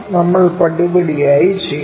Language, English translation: Malayalam, That we have to do step by step